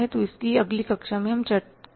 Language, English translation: Hindi, So, that will be discussed in the next class